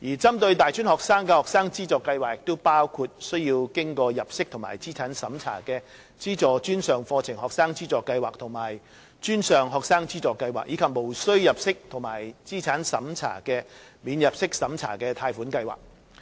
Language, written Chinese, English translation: Cantonese, 針對大專學生的學生資助計劃包括須經入息及資產審查的"資助專上課程學生資助計劃"和"專上學生資助計劃"，以及無須入息及資產審查的"免入息審查貸款計劃"。, Financial assistance schemes for tertiary students include the means - tested Tertiary Student Finance Scheme―Publicly - funded Programmes and Financial Assistance Scheme for Post - secondary Students as well as the Non - means - tested Loan Scheme for Post - secondary Students